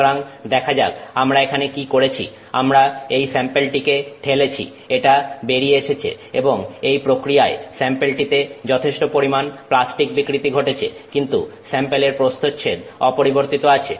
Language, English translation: Bengali, We have pushed this sample through, it comes out and in this process the sample has undergone considerable plastic deformation but the cross section of the sample is maintained